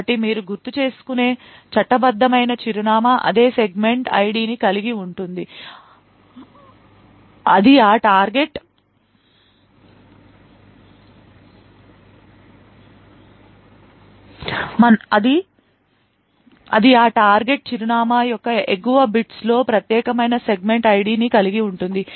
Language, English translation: Telugu, So, a legal address as you may recall would have the same segment ID that is the upper bits of that target address would have that unique segment ID